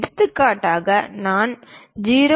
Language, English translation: Tamil, For example, I would like to represent something like 0